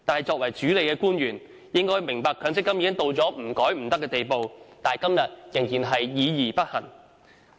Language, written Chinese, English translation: Cantonese, 作為主理的官員，理應明白強積金制度改革刻不容緩，但他們時至今日仍然議而不行。, As the government officials - in - charge they should understand that the reform of the MPF System can brook no delay yet they remain indecisive and have not taken any action to date